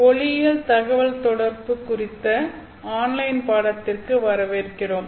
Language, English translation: Tamil, Hello and welcome to the online course on optical communications